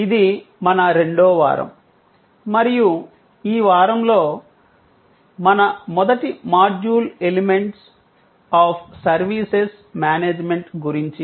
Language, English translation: Telugu, This is our week number 2 and our first module in this week is about Services Management, the Elements of Services Management